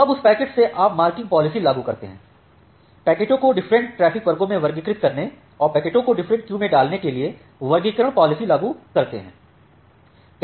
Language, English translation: Hindi, Now, from that packet you apply the marking policy, the classification policy to classify the packets into different traffic classes and put the packets into different queues